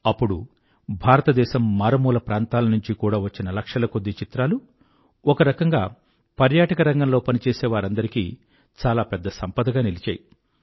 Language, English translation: Telugu, Lakhs of photographs from every corner of India were received which actually became a treasure for those working in the tourism sector